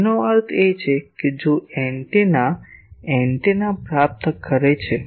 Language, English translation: Gujarati, That means, if the antenna is receiving antenna